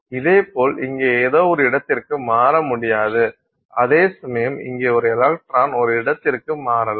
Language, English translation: Tamil, So, similarly something here cannot transition to a location here, it can turn, whereas something here an electron here can transition to a location here